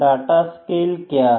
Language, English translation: Hindi, What are data scales